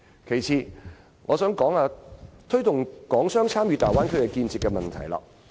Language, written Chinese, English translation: Cantonese, 其次，我想討論推動港商參與大灣區建設的問題。, Second I wish to discuss ways to foster Hong Kong businessmens participation in the development of the Bay Area